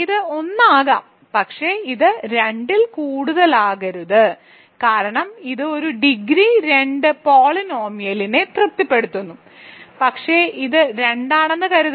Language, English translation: Malayalam, So, it can be 1, but it cannot be more than 2 because it satisfies a degree 2 polynomial, but suppose it is 2